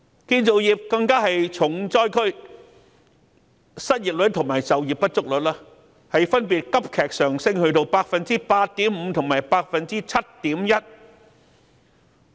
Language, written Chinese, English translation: Cantonese, 建造業更是重災區，失業率及就業不足率分別急劇上升至 8.5% 及 7.1%。, The construction industry is the hardest hit with the unemployment and underemployment rates surging to 8.5 % and 7.1 % respectively